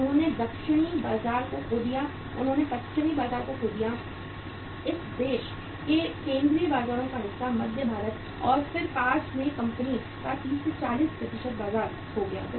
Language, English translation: Hindi, They lost the southern market, they lost the western market, part of the central markets of this country, central India and then near about say 30 40% market of the company is lost